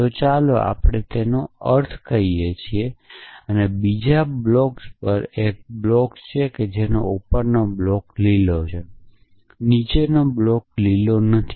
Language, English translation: Gujarati, So, let us look at the meaning it saying that there is a block on another block and the block above is green and the block below is not green